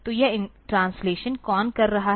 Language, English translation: Hindi, So, who is doing this translation